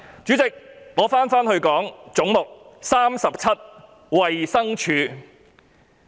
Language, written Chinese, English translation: Cantonese, 主席，我回到"總目 37― 衞生署"。, Chairman let me get back to Head 37―Department of Health